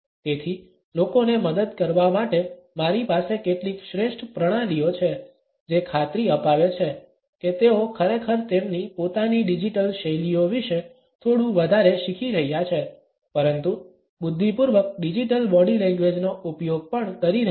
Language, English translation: Gujarati, So, I have a few best practices to help people actually make sure that they are learning a little more about their own digital styles but also using digital body language intelligently